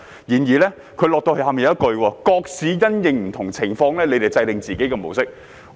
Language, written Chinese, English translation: Cantonese, 然而，他們有一句後話，就是各市因應不同情況制訂自己的模式。, However they said later that each municipality should develop its own model according to different circumstances